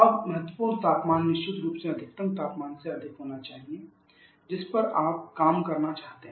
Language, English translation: Hindi, Now the critical temperature of course should be well above the maximum temperature at which you would like to work